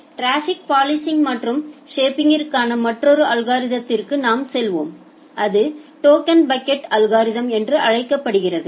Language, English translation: Tamil, We will go for another algorithm for traffic policing and shaping it is called a token bucket algorithm